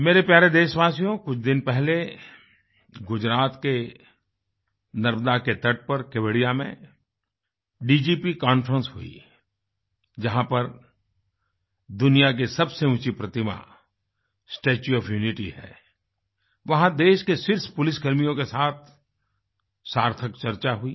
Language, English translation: Hindi, My dear countrymen, a few days ago, a DGP conference was held at Kevdia on the banks of Narbada in Gujarat, where the world's highest statue 'Statue of Unity' is situated, there I had a meaningful discussion with the top policemen of the country